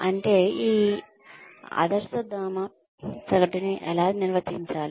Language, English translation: Telugu, And, how is this average being defined